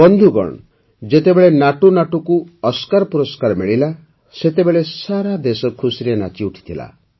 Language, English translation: Odia, Friends, when NatuNatu won the Oscar, the whole country rejoiced with fervour